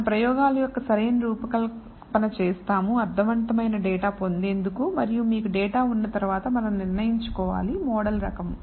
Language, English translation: Telugu, So, we will do proper design of experiments in to get what we call meaningful data and once you have the data, we have to decide the type of model